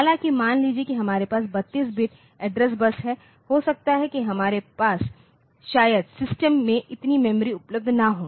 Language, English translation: Hindi, So, this happens that in system though I have got say 32 bit address bus so, I may not have that much of memory available in the system